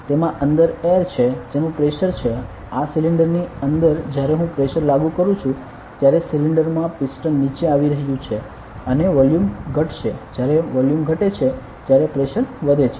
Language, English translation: Gujarati, So, if I apply pressure here what happens is pressure inside the air is inside this cylinder when I applied a pressure here the cylinder is the piston is going to come down and the volume decreases correct volume decreases when volume decreases what happens pressure increases